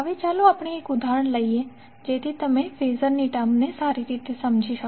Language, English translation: Gujarati, Now, let us take one example so that you can better understand the term of Phasor